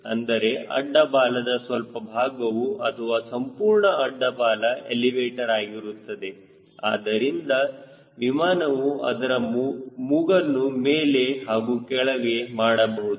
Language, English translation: Kannada, in fact, part of the horizontal tail or whole horizontal tail could be an elevator which is required to pitch the aircraft up and down